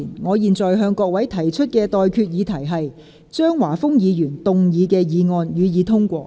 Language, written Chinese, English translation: Cantonese, 我現在向各位提出的待決議題是：張華峰議員動議的議案，予以通過。, I now put the question to you and that is That the motion moved by Mr Christopher CHEUNG be passed